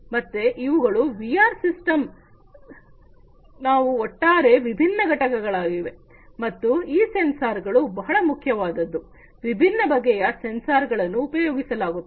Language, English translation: Kannada, So, these are the overall the different components of a VR system some of the different components, and these sensors are very crucial different types of sensors are used